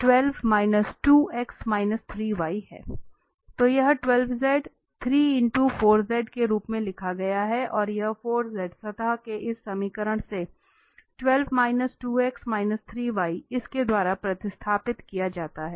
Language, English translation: Hindi, So this 12 z was written as 3 into 4 z and this 4 z from this equation of the surface is replaced by this 12 minus 2x minus 3y